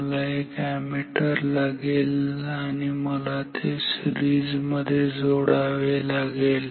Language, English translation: Marathi, I need an ammeter I have to insert it in series